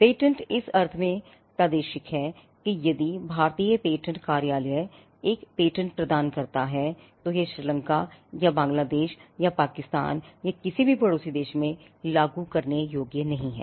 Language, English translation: Hindi, Patents are territorial, in the sense that if the Indian patent office grants a patent, it is not enforceable in Sri Lanka or Bangladesh or Pakistan or any of the neighboring countries